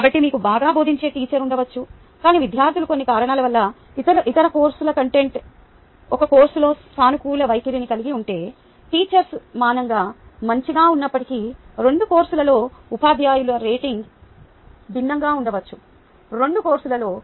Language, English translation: Telugu, so you may have a teacher who is teaching well, but if the students have for some reason a positive disposition in one course than other course, the rating of the teacher in the two courses may be different, even though the teacher may be equally good in both courses